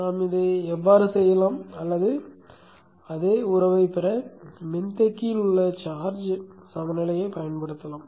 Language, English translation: Tamil, We can do it this way or you can use the amp second balance in the capacitor to get the same relationship